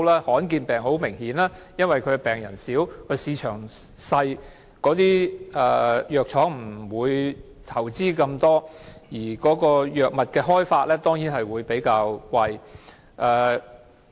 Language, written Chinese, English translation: Cantonese, 罕見疾病很明顯地是因為病人少和市場小，藥廠不會投資那麼多，藥物的研發當然會比較貴。, Obviously in view of the small number of patients and the limited size of the market pharmaceutical companies will not make so much investment in this respect and so the research and development of such drugs will naturally be more costly